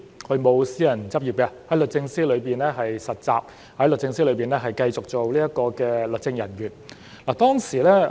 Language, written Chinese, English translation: Cantonese, 他沒有私人執業，在律政司實習，在律政司繼續做律政人員。, He did not go into private practice but became a trainee in DoJ where he continued to work as a legal officer